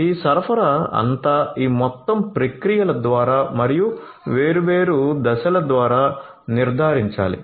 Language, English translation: Telugu, So, all these supply through these entire processes and the different steps will have to be ensured